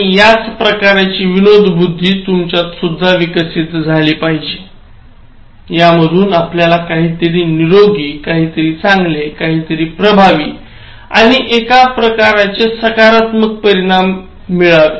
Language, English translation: Marathi, And this is the kind of humour that I want you to develop, something that is healthy, something that is good, something that is effective and achieve some kind of positive results